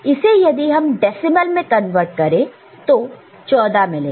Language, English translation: Hindi, So, if you convert it decimal it is 14 right